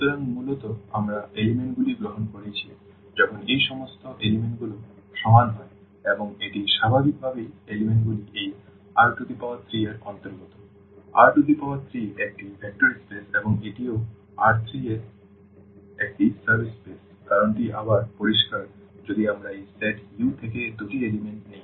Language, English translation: Bengali, So, basically we have taken the elements when all these components are equal and this naturally the elements belong to this R 3; R 3 is a is a vector space and this is also a subspace of R 3 the reason is again clear if we take two elements from this set U